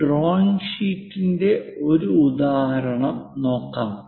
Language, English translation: Malayalam, Let us look at an example of a drawing sheet